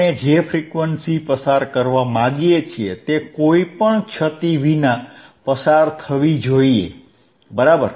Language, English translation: Gujarati, Thate frequency that we want to pass it should be passed without any attenuation, right